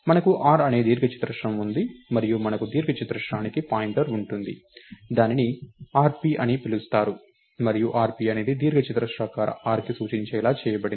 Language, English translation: Telugu, We have a rectangle called r and we have a pointer to a rectangle which is called rp and rp is made to point to rectangular r itself